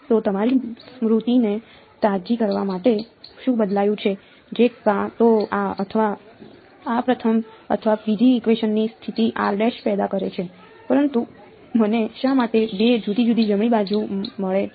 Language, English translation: Gujarati, So, what just to refresh your memory what changed to produce either this or this the first or the second equation position of r dash yeah, but why do I get two different right hand sides